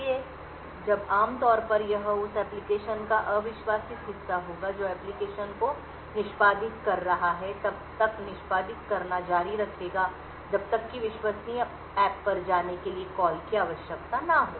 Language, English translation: Hindi, So, when typically, it would be untrusted part of the application which is executing the application would continue to execute until there is a call required to move to the trusted app